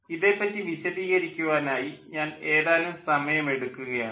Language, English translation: Malayalam, i will just take small amount of time to explain this